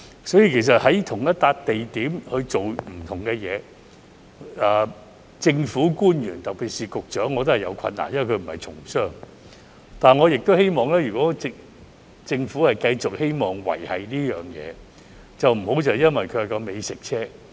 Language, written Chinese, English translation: Cantonese, 所以，在同一個地點做不同的事，政府官員特別是局長也有困難，因為他並不是從商，但我亦希望如果政府繼續希望維繫這東西，便不要將其局限於美食車。, As such it is difficult for government officials especially the Secretary to do different things in the same position because he is not a businessman . However I also hope that the Government will not restrict the operation of food trucks if it wants to keep the scheme running